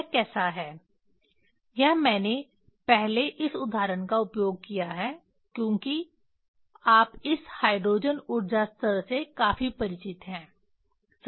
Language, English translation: Hindi, how it is, it is I have used this example first because you are quite familiar with this hydrogen energy levels right